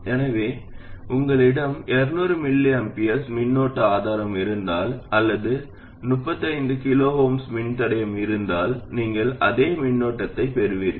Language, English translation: Tamil, So whether you had a 200 microampure current source here or a 35 kilo oom resistor, you will get exactly the same current